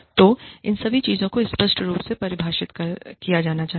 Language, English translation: Hindi, So, all these things, should be clearly defined